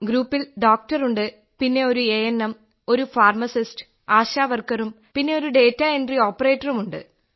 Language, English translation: Malayalam, That comprised a doctor, then the ANM, the pharmacist, the ASHA worker and the data entry operator